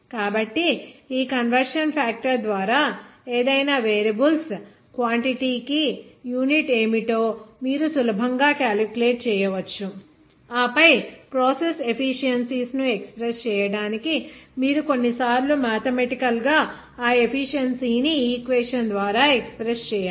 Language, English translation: Telugu, So by that conversion factor, you can easily calculate what should be the unit for any variables quantity, and then to express all those process efficiencies, you sometimes need to express mathematically that proficiency by an equation